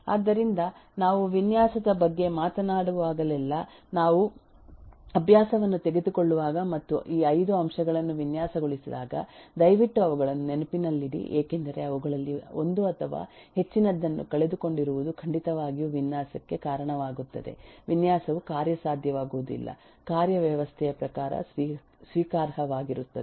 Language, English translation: Kannada, so whenever we will talk about design, whenever we will take exercise and design all these eh five factors, please keep them in mind because missing one of, one or more of them will certainly lead to a design which will not be workable, acceptable in terms of a working system